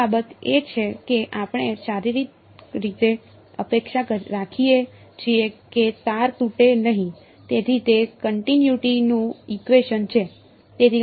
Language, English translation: Gujarati, The other thing is that we physically expect that the string does not break, so that is equation of continuity right